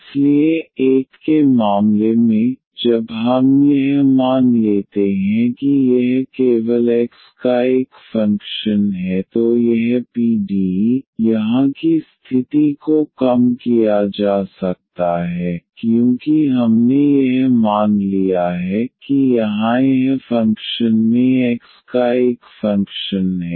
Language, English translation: Hindi, So, in the case 1, when we assume that this is a function of x alone then this PDE, the condition here can be reduced because we have assumed that this function here I is a function of x alone